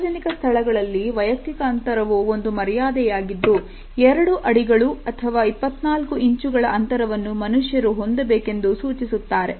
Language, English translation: Kannada, The rules of personal space in public places etiquette experts suggest that human beings should keep 2 feet of space or 24 inches between them